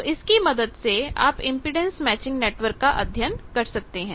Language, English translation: Hindi, You see that in the impedance matching network